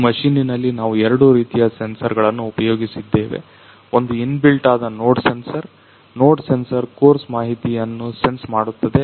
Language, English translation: Kannada, So, in this particular machine we have engaged you know the two types of the sensor; one is inbuilt that is the node sensor so, node sensor senses the you know the course information